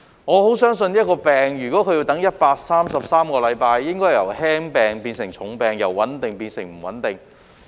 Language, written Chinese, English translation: Cantonese, 我十分相信若一種病症要等133個星期，病情應會由輕病變成重病，由穩定變成不穩定。, I strongly believe that after 133 weeks of waiting mild illnesses may worsen to serious problems and stable conditions may become unstable